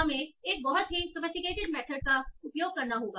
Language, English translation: Hindi, So we have to use a very sophisticated method